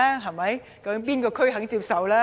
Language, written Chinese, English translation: Cantonese, 究竟哪一區肯接受？, Which district would accept them?